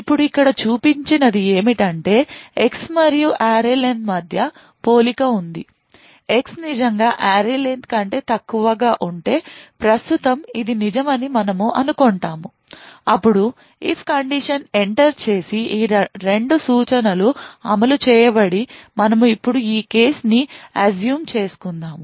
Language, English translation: Telugu, Now what the showed here is that there is a comparison between X and the array len now if X is indeed lesser than the array len which we assume is true right now then if condition is entered and these two instructions are executed and now let us assume this is the case right now